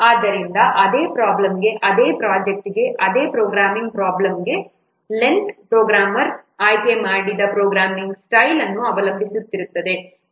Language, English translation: Kannada, So, the same for the same problem, for the same project, for the same programming problem, the length would depend on the programming style that the program has chosen